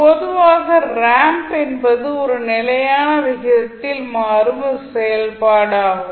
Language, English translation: Tamil, Now, in general the ramp is a function that changes at a constant rate